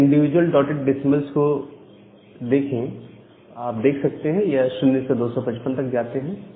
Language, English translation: Hindi, So, these individual dotted decimals, they go from 0 to 255